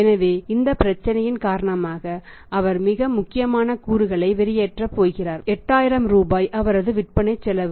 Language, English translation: Tamil, So, he is going to shell out too important components he's going to shell out 8000 rupees which is his cost of sales